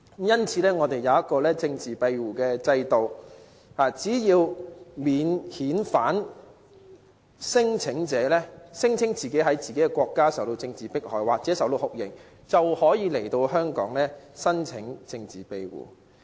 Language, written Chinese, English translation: Cantonese, 因此，我們設有政治庇護制度，只要免遣返聲請者聲稱其在自己的國家受到政治迫害或遭受酷刑，便可以到來香港申請政治庇護。, Thus we have put in place a political asylum system . Any non - refoulement claimants claiming to have been subjected to political persecution or torture can come to Hong Kong to apply for political asylum